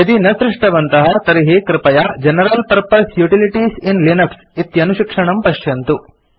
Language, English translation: Sanskrit, If not please refer to the tutorial on General Purpose Utilities in Linux